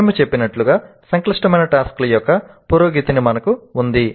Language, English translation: Telugu, As we mentioned we have a progression of increasingly complex tasks